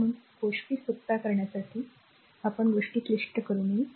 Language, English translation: Marathi, So, make things simpler way to better we should not make the thing complicated way